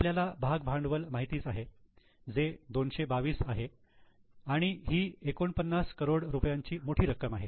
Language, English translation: Marathi, We already have been given share capital which is 2 to 2 and this is a substantial amount 49,000 crores